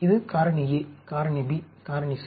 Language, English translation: Tamil, This is for factor A, factor B, factor C